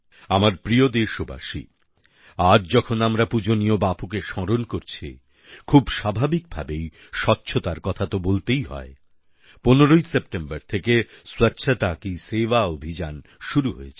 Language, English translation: Bengali, My dear countrymen, while remembering revered Bapu today, it is quite natural not to skip talking of cleanliness